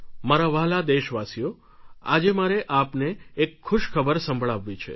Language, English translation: Gujarati, My dear countrymen I want to share good news with you